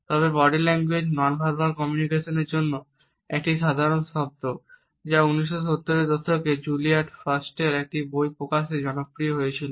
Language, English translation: Bengali, However, ‘body language’ was a layman’s term for ‘nonverbal’ aspects of communication which was popularized in 1970s with the publication of a book by Julius Fast